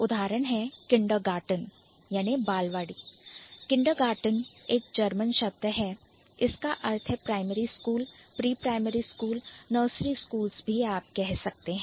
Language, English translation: Hindi, Kindergarten is a German word that means primary school, like the pre primary schools or nursery schools you can say